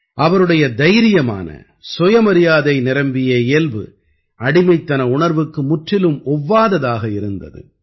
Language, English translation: Tamil, His fearless and selfrespecting nature did not appreciate the mentality of slavery at all